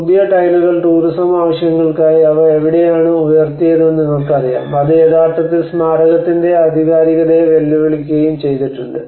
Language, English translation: Malayalam, And the new tiles: Where they have raised for the tourism purpose you know that have actually raised and challenge to the authenticity of the monument